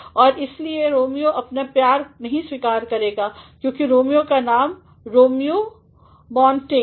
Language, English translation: Hindi, And, hence Romeo is not going to acknowledge his love because Romeo’s name is Romeo Montague